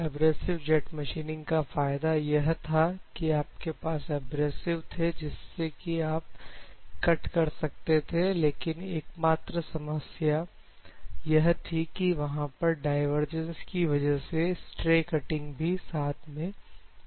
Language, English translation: Hindi, So, the advantage of abrasive jet machining is you have the abrasives you can cut, but the only problem with abrasive jet machining is that the divergence will be there